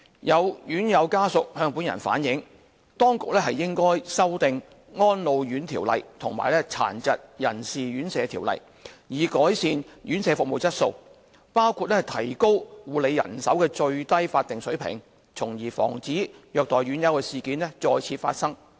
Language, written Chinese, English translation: Cantonese, 有院友家屬向本人反映，當局應修訂《安老院條例》和《殘疾人士院舍條例》，以改善院舍服務質素，包括提高護理人手的最低法定水平，從而防止虐待院友事件再次發生。, Some family members of the residents have relayed to me that the authorities should amend the Residential Care Homes Ordinance and the Residential Care Homes Ordinance with a view to improving the service quality of care homes including raising the statutory minimum levels of care staff manpower so as to prevent the recurrence of incidents of abuse of residents